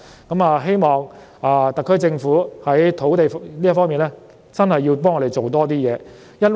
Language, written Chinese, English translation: Cantonese, 我希望特區政府在土地供應這方面，真的要為我們多做點事。, I hope the SAR Government will really do something for us in respect of land supply